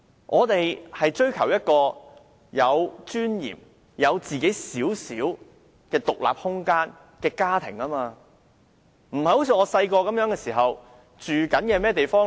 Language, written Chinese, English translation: Cantonese, 我們追求一個有尊嚴、有自己細小獨立空間的家庭，不像我小時候那樣。, We are striving to create a family with a little bit of dignified space that belongs entirely to us unlike what I had as a kid